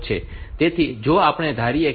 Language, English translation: Gujarati, So, if we assume that the clock period is 0